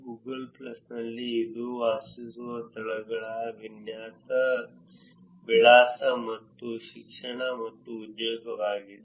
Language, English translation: Kannada, In Google plus, it is places lived address and education and employment